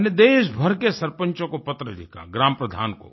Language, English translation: Hindi, I wrote a letter to the Sarpanchs and Gram Pradhans across the country